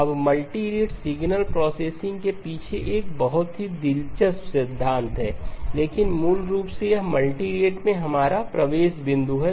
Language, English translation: Hindi, Now a very interesting theory behind multirate signal processing but basically this is our entry point into multirate